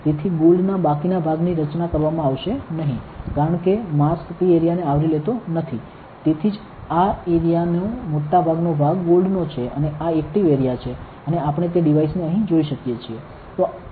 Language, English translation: Gujarati, So, the remaining portion of the gold will not be patterned, because it is not that mask is not covering that area, that is why most of this area of is gold and this is the active area and we can see that devices here